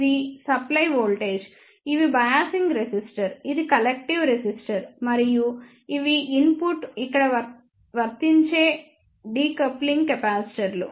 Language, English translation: Telugu, This is the supply voltage, these are the biasing resistor, this is collective resistor, and these are the decoupling capacitors the input is applied here